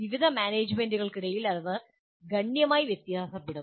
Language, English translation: Malayalam, That will vary considerably among different management